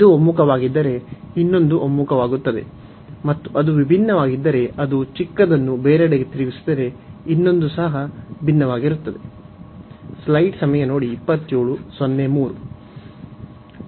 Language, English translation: Kannada, If this converges, the other one will also converge; and if that diverge the smaller one if that diverges, the other one will also diverge